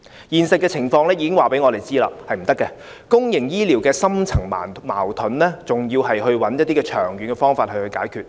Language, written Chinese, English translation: Cantonese, 現實情況已經告訴我們，是不可以的，公營醫療的深層矛盾，還要尋找一些長遠方法來解決。, Reality tells us that it cannot . The deep - rooted conflict in the public healthcare system needs to be solved by a long - term solution